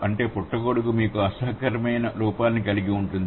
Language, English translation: Telugu, Mushroom would give you an unpleasant look